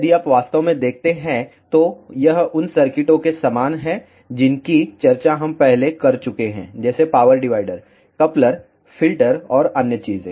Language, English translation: Hindi, If, you really see this looks very similar to the circuits which we have discussed earlier like power dividers, couplers, filters and other things